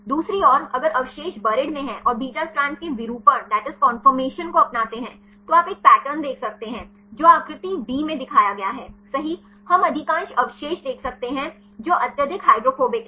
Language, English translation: Hindi, On the other hand if the residues are in the buried right and adopt the beta strand conformation you can see a pattern which are shown in the figure d right, we can see most of the residues which are highly hydrophobic